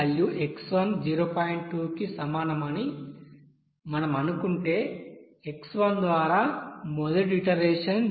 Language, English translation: Telugu, 2, then first iteration by this x1 is equal to 0